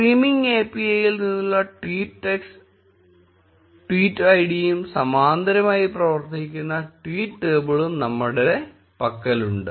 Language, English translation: Malayalam, We have the tweets table which has the tweet id and the tweet text from the streaming API running in parallel